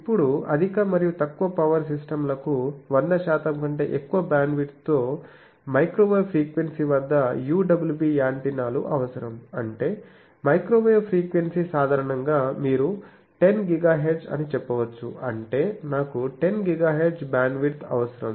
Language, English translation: Telugu, Now, both high and low power systems require UWB antennas at microwave frequency with more than 100 percent bandwidth that means if microwave frequency typically you can say 10 GHz, so that means I will require a bandwidth of 10 GHz